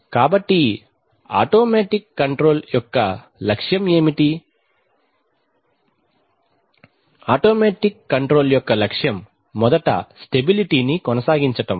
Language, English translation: Telugu, So what is the objective of automatic control, the objective of automatic control is firstly to maintain stability